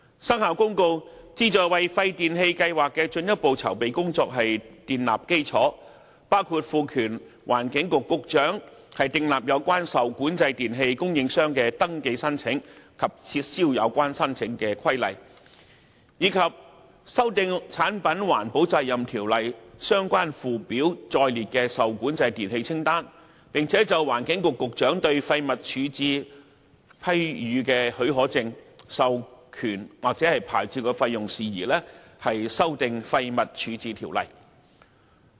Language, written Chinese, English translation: Cantonese, 《生效日期公告》旨在為廢電器計劃的進一步籌備工作建立基礎，包括賦權環境局局長訂立有關受管制電器供應商的登記申請及撤銷有關登記的規例，以及修訂《產品環保責任條例》相關附表載列的受管制電器清單，並就環境局局長對廢物處置批予的許可證、授權或牌照的費用事宜，修訂《廢物處置條例》。, The purpose of the Commencement Notice is to provide the necessary basis for further preparatory work for WPRS including empowering the Secretary for the Environment SEN to make regulations which concern the application for and cancellation of registration of suppliers of REE and amend relevant Schedules to PERO which contain the list of REE to which PERO applies and make amendments to WDO in relation to matters concerning fees for permits authorization or licences to be granted by the Secretary for the Environment for waste disposal